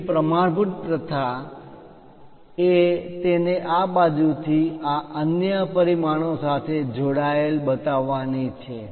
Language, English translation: Gujarati, So, the standard practice is to show it on that side connected with this other dimension